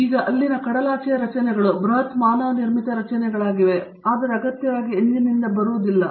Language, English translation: Kannada, Now, from there the offshore structures which are huge manmade structures, but not necessarily powered by an engine